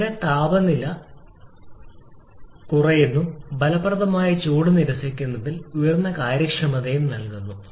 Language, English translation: Malayalam, Here the lower the temperature of effective heat rejection High is the efficiency and the same is happening